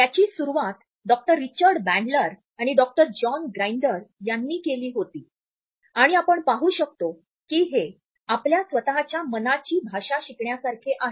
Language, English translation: Marathi, It was started by Doctor Richard Bandler and Doctor John Grinder and we can see that it is like learning the language of our own mind